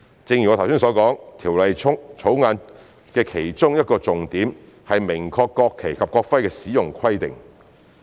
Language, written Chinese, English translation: Cantonese, 正如我剛才所說，《條例草案》的其中一個重點是明確國旗及國徽的使用規定。, As I said just now one of the focuses of the Bill is to make clear the requirements in respect of the use of the national flag and the national emblem